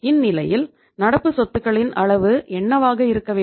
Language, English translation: Tamil, So it means what should be the level of current assets